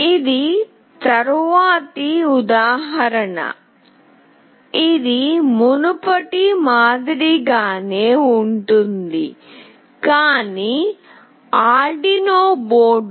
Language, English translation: Telugu, The next example is very similar, but with Arduino board